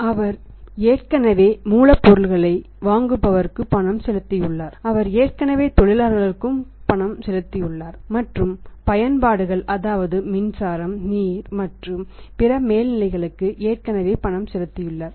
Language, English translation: Tamil, He has already made the payment to suppliers of raw material, he has already made the payment to the workers has already made the payment to all these utilities, power, water and other overhead